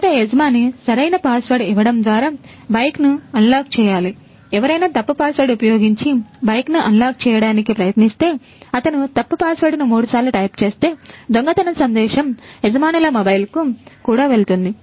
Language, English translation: Telugu, If someone will try to unlock the bike using wrong password; if he types wrong password three times, then also the theft message will go to the owners mobile